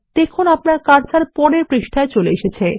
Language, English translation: Bengali, You see that the cursor comes on the next page